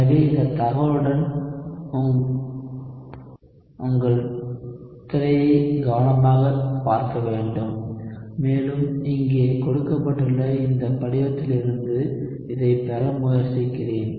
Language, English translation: Tamil, So with this information I want you to look at your screen carefully and try to derive this from this form that is given here